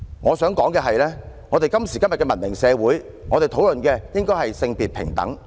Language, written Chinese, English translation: Cantonese, 我想指出的是，在今時今日的文明社會，我們應該討論促進性別平等。, I would like to point out that in a civilized society today we should discuss issues like promoting gender equality